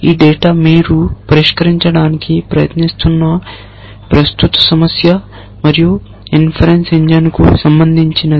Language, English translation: Telugu, This data pertains to the current problem that you are trying to solve and inference engine